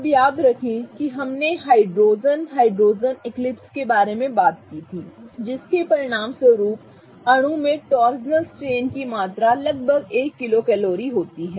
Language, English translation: Hindi, Now remember we talked about hydrogen hydrogen eclipsing which results about 1 kilo calories per mole of torsional strain in the molecule